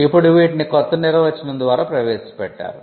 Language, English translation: Telugu, Now, these were definition, now these were introduced by the new definition